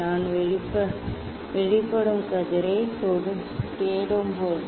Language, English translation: Tamil, when I will look for the emergent ray